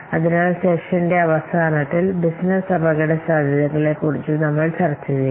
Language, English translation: Malayalam, So, we will discuss the business risks somewhat towards the end of the session